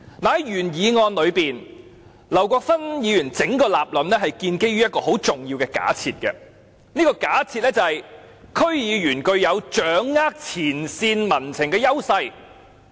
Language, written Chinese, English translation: Cantonese, 在原議案中，劉國勳議員的整個立論建基於一個很重要的假設，便是區議員具有掌握前線民情的優勢。, The whole argument advanced by Mr LAU Kwok - fan in the original motion is founded on a very significant presumption and that is DC members have the advantage of grasping first - hand public sentiments